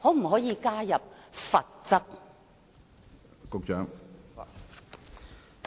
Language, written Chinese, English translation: Cantonese, 可否加入罰則？, Will any penalties be added?